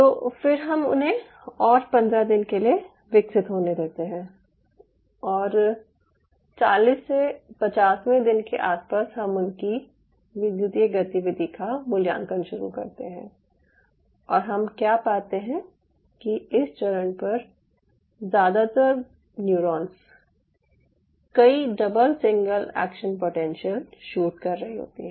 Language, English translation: Hindi, day fifty, somewhere around this forty to fifty, he started to evaluate their electrical activity and what you observe is most of the neurons at this stage are shooting multiple, double, single action potentials